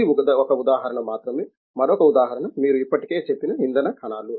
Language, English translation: Telugu, This is only one example, another example is as you have already said is fuel cells